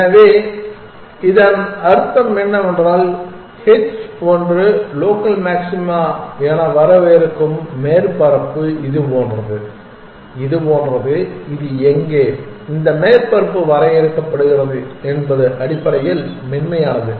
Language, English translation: Tamil, So, what does that mean, it means that the surface that h one is defining as local maxima it is like this something like this where is the surface at this one is defining is smooth essentially